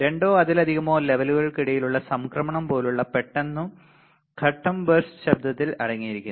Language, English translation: Malayalam, Burst noise consists of sudden step like transitions between two or more levels